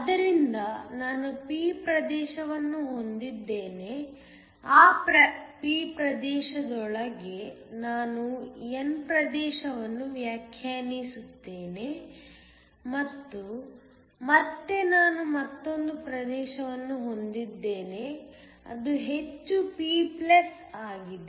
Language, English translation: Kannada, So, I have a p region, within that p region I define an n region and then again I have another region which is heavily p+